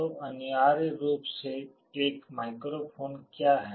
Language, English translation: Hindi, So, essentially what is a microphone